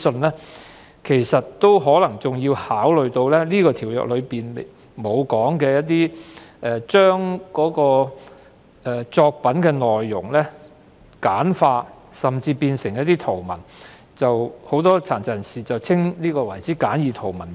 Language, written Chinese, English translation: Cantonese, 此外，政府應考慮《條例草案》未有提及的情況，將作品內容簡化甚至圖文化，即殘疾人士所指的簡易圖文版。, In addition the Government should consider scenarios not covered by the Bill and simplify the contents of copyright works or even turn the contents into graphics to produce what persons with disabilities refer to as easy read format copies of works